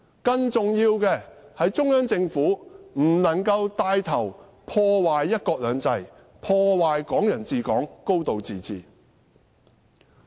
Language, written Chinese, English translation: Cantonese, 更重要的是中央政府不能帶頭破壞"一國兩制"、"港人治港"、"高度自治"。, More importantly the Central Government must not take the lead to damage one country two systems Hong Kong people ruling Hong Kong and a high degree of autonomy